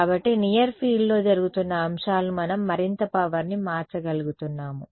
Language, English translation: Telugu, So, it is the stuff is happening in the near field we are able to transform more power